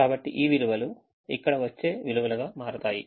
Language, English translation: Telugu, so this values will become the, the values that come here